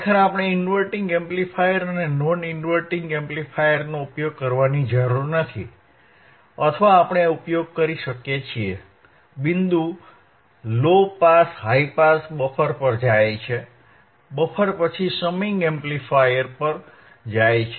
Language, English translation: Gujarati, Actually, we areneed not usinge inverting amplifier and non inverting amplifier or we can use, the point is low pass high pass goes to buffer, buffer to a summing amplifier